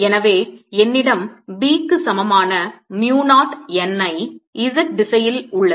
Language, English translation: Tamil, so i have b is equal to mu naught n, i in the z direction